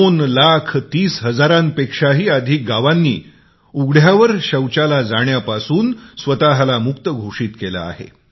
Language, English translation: Marathi, More than two lakh thirty thousand villages have declared themselves open defecation free